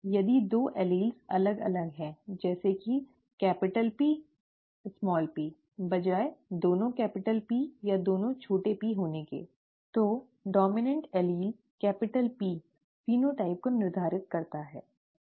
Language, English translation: Hindi, If the two alleles differ, you know, capital P small p, instead of both being capital P or both being small p, the dominant allele P determines the phenotype, okay